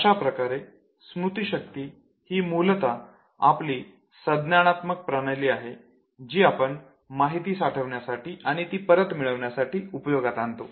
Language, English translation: Marathi, Therefore memory basically is our cognitive system which is used for storing and retrieving the information